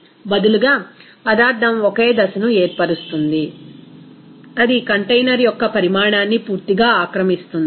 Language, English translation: Telugu, Instead, the substance forms a single phase that completely occupies the volume of the container